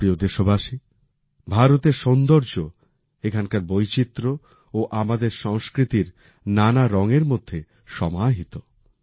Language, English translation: Bengali, My dear countrymen, the beauty of India lies in her diversity and also in the different hues of our culture